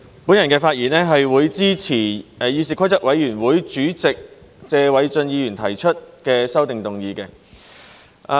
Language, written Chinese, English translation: Cantonese, 我發言支持議事規則委員會主席謝偉俊議員提出的擬議決議案。, I speak in support of the proposed resolution moved by Mr Paul TSE Chairman of the Committee on Rules of Procedure